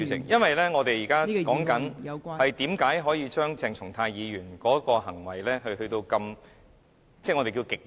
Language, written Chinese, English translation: Cantonese, 因為我們現正討論為何可以對鄭松泰議員的行為處以所謂極刑。, Because now we are discussing why Dr CHENG Chung - tais behaviour deserves the so - called ultimate punishment